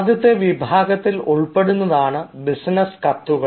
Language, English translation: Malayalam, the first in this category comes is business letters